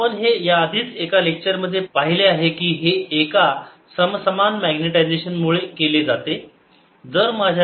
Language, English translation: Marathi, we have already seen in one of the lectures earlier that this is done by a uniform magnetization